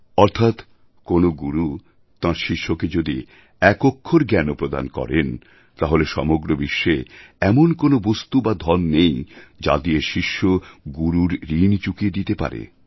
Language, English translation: Bengali, Thereby meaning, when a guru imparts even an iota of knowledge to the student, there is no material or wealth on the entire earth that the student can make use of, to repay the guru